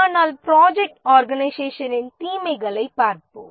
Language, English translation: Tamil, But let's look at the disadvantage of the project organization